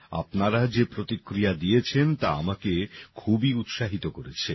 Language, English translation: Bengali, The response you people have given has filled me with enthusiasm